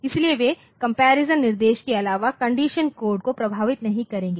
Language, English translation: Hindi, So, they will not affect the condition code apart from the comparison instruction